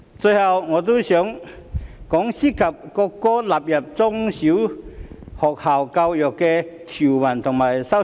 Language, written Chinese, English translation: Cantonese, 最後，我也想談談涉及國歌納入中小學校教育的條文和修正案。, Lastly I also wish to discuss the clause relating to the inclusion of the national anthem in primary and secondary education and the amendments thereto